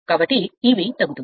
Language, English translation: Telugu, So, E b is decreasing